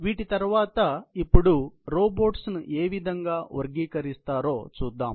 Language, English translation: Telugu, So, these are how robots are generally classified